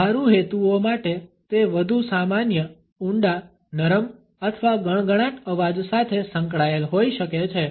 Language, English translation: Gujarati, For practical purposes it could be associated with more normal deep soft or whispery voice